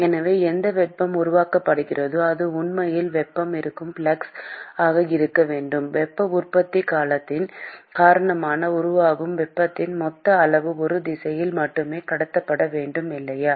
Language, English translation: Tamil, So, whatever heat that is being generated should actually be the flux at which the heat is being the total amount of heat that is generated because of the heat generation term must be transported only in one direction, right